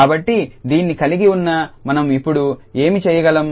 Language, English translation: Telugu, So, having this what we can do now